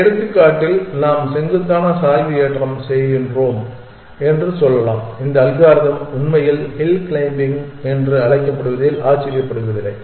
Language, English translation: Tamil, In this example, we can say that we are doing steepest gradient ascent and it is not surprising that this algorithm is actually call hill climbing